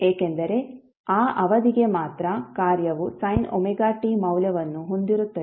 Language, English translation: Kannada, Because for that period only the function will be having the value of sin omega t